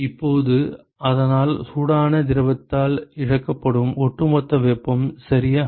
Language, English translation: Tamil, So, now so, the overall heat that is lost by the hot fluid ok